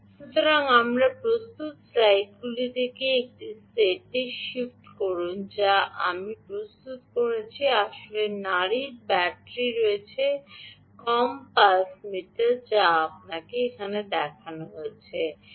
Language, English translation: Bengali, so let me know, shift to a set of slides which i prepared and here is the ah, the actual ah pulse battery less pulse meter that we showed you